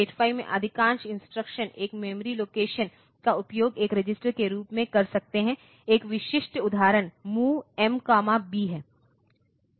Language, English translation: Hindi, Like most of the instructions in 8085 can cause a memory location can use a memory location in place of a register typical example is MOV M comma B